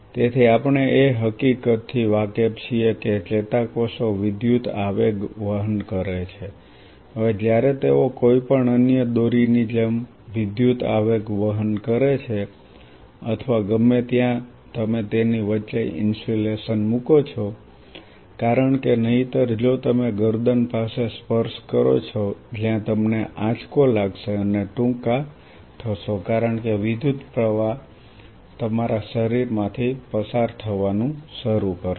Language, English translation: Gujarati, So, we are aware of the fact that neuronal cells are carrying electrical impulses right, now when they are carrying electrical impulses just like any other cord which is carrying electrical or anywhere you always put an insulation across it why because otherwise if you touch a necked where you will get shock and get short because the current will start passing through your body and god forbids it may cause irreparable damage